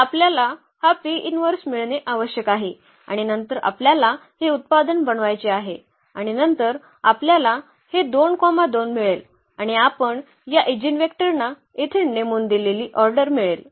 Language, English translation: Marathi, So, we need to get this P inverse and then this product we have to make and then we will get this 2 2 and exactly the order we have placed here these eigenvectors